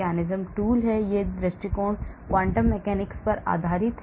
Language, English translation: Hindi, the other approach is based on the quantum mechanics based approach